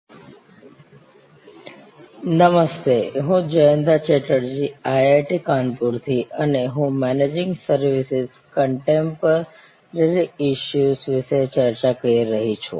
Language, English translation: Gujarati, Hello, I am Jayanta Chatterjee from IIT Kanpur and we are discussing Managing Services and the Contemporary Issues